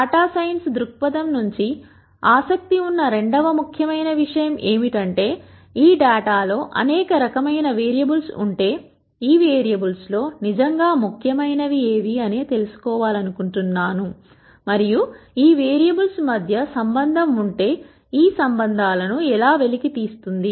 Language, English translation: Telugu, The second important thing that one is interested from a data science perspec tive is, if this data contains several variables of interest, I would like to know how many of these variables are really important and if there are relationships between these variables and if there are these relationships, how does one un cover these relationships